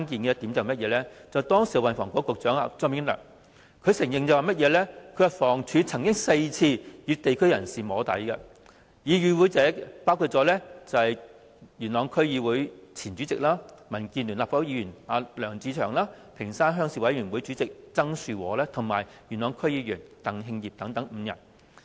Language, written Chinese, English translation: Cantonese, 時任運輸及房屋局局長張炳良承認，房屋署曾4次與地區人士進行"摸底"會議，與會者包括：元朗區議會前主席、民建聯立法會議員梁志祥、屏山鄉鄉事委員會主席曾樹和及元朗區議員鄧慶業等5人。, Anthony CHEUNG the then Secretary for Transport and Housing admitted that Housing Department staff had held four soft lobbying sessions with local representatives and the five participants included LEUNG Che - cheung former chairman of the Yuen Long District Council and currently a Member belonging to the Democratic Alliance for the Betterment and Progress of Hong Kong; TSANG Shu - wo chairman of the Ping Shan Rural Committee; and TANG Hing - ip a member of the Yuen Long District Council